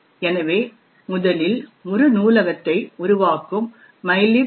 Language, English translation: Tamil, So first let us look at mylib